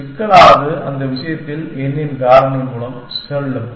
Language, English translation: Tamil, So, complexity will go by a factor of n in that case